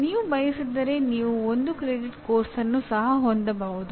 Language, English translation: Kannada, You can also have 1 credit course if you want